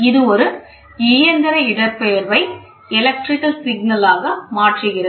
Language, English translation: Tamil, It transforms a mechanical displacement into an electrical signal